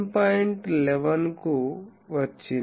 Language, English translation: Telugu, So, started 11